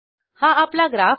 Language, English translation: Marathi, Here is my graph